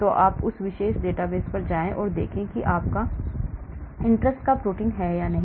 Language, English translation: Hindi, so you go to that particular database and see whether the protein of your interest is there